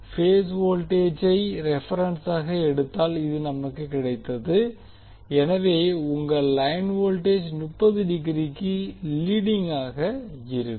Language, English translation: Tamil, This is we have got when we take the reference as a phase voltage, so your line voltage will be leading by 30 degree